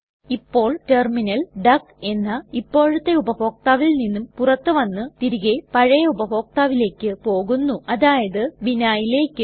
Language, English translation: Malayalam, Now the terminal logs out from the current user duck and comes back to the previous user account, which is vinhai in our case